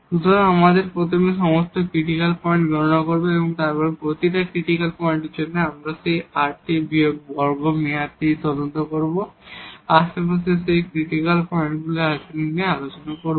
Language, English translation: Bengali, So, we will compute first all the critical points and for each critical point we will investigate that rt minus s square term to discuss the behavior of those critical points in the neighborhood